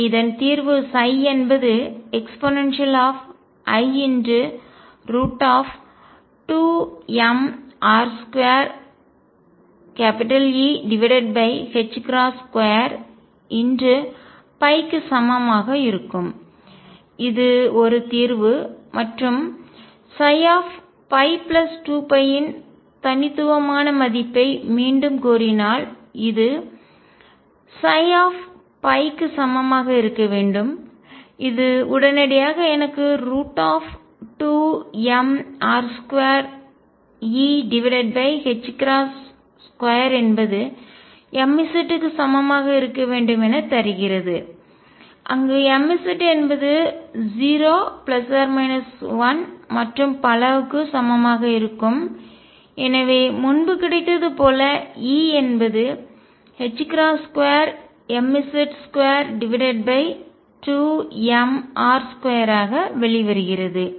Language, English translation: Tamil, So, the solution is going to be psi equals e raise to i square root of 2 m r square over h cross square E times phi, this is a solution and if I demand again for the unique value of psi phi plus 2 pi should be equal to psi phi, it immediately gives me that 2 m r square over h cross square e square root should be equal to m z where m z is equal to 0 plus minus 1 and so on and therefore, E comes out to be h cross square m z squared over 2 m r square as obtained earlier